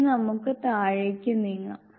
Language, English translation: Malayalam, It be move to the bottom